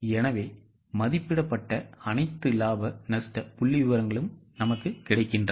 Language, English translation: Tamil, So all the estimated profit and loss figures are available